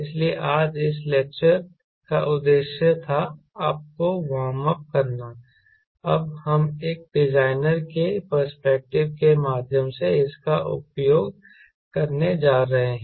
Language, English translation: Hindi, so that is was the purpose of this lecture today, to warm you up, that now we are going to use this through a designers perspective